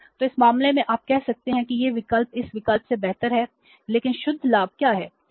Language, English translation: Hindi, So, in this case you can say that this option is better than this option but what is a net gain